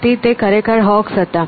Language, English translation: Gujarati, So, it was a really a Hokes